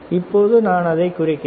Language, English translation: Tamil, Now I am bringing it down